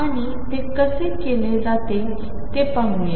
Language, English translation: Marathi, And let us see how it is done